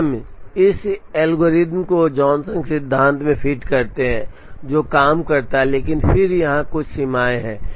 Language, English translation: Hindi, Then we fit this algorithm into the Johnson principle which works, but then there are a couple of limitations here